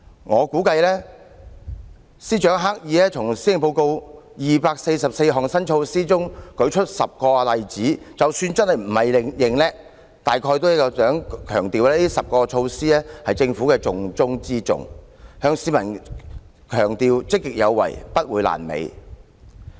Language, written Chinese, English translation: Cantonese, 我估計司長刻意從施政報告的244項新措施中舉出10個例子，即使不是逞強，大概也是想強調這10項措施是政府的重中之重，向市民強調積極有為，不會"爛尾"。, I estimate that the Secretary deliberately cites 10 examples from the 244 new measures in the Policy Address . Even if he was not showing off he is probably emphasizing that these 10 measures are the top priority of the Government and stressing to the public that the proactive style of governance will not end in nothing